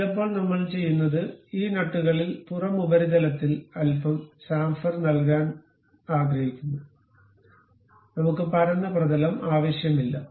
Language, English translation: Malayalam, Sometimes what we do is on these nuts, we would like to have a little bit chamfer on the outer surface, we do not want a flat surface